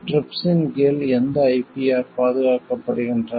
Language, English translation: Tamil, Which IPRs are covered under TRIPS